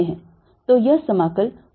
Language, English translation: Hindi, so this is going to be integral